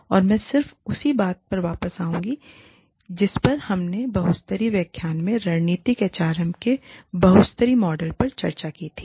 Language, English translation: Hindi, And, i will just go back to, what we discussed in the lecture on multi level, here, the multilevel model of strategic HRM